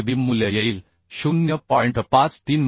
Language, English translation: Marathi, 53 kb value will come 0